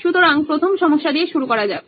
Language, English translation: Bengali, So let’s start with the first problem